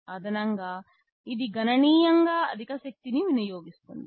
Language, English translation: Telugu, In addition it also consumes significantly higher power